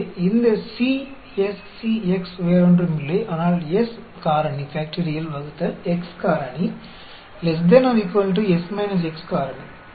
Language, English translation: Tamil, So, this is the C S C x is nothing, but S factorial divided by x factorial, divided by S minus x factorial